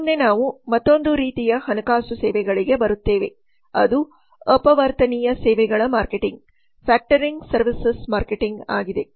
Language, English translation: Kannada, next we come to another type of financial services that is factoring services marketing